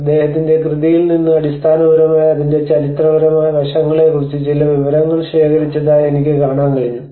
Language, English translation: Malayalam, And I could able to see that you know gathered some information from his work basically on the historical aspects of it